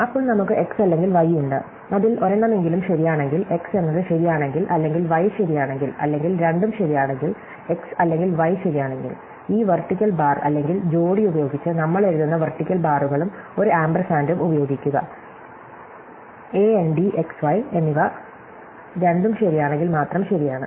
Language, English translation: Malayalam, Then, we have x or y which is true provided at least one of them is true, so if either x is true or y is true or both are true, x or y is true, we write that with this vertical bar or pair of vertical bars and use an ampersand denote AND, x and y is true only if both are true